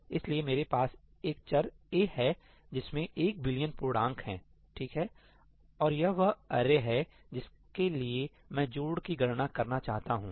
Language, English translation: Hindi, So, here is what I have I have a variable ‘a’, which has one billion integers, right, and this is the array for which I want to calculate the sum